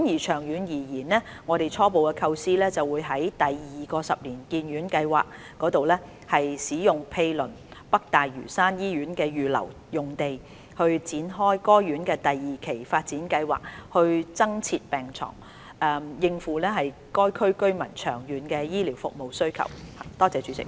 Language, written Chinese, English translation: Cantonese, 長遠而言，我們初步構思在第二個十年醫院發展計劃下使用毗鄰北大嶼山醫院的預留用地，展開該院第二期發展計劃，以增設病床，應付該區居民長遠的醫療服務需求。, In the long run we preliminarily plan to embark on the second - phase development of NLH using the adjoining reserved site under the second 10 - year Hospital Development Plan HDP with a view to providing additional beds and meeting the long - term demands of local residents for health care services